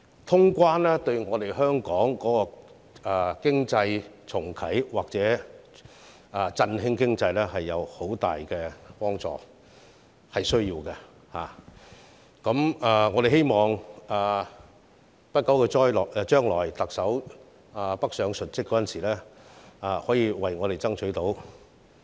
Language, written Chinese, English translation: Cantonese, 通關對香港重啟或振興經濟有很大幫助，是需要的，我們希望特首不久的將來北上述職的時候，可以為我們爭取到。, Reopening the border is of great help to Hong Kong in relaunching or revitalizing its economy and it is necessary to do so . We hope that the Chief Executive can make it happen for us during her coming duty visit in the north